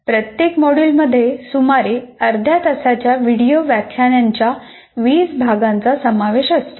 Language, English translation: Marathi, Each module is also offered as 20 units of about half hour video lectures